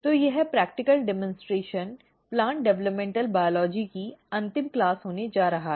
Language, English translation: Hindi, So, this practical demonstration is going to be the last class of the plant developmental biology